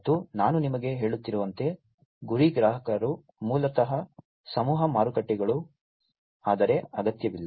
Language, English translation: Kannada, And as I was telling you that the target customers are basically the mass markets, but not necessarily so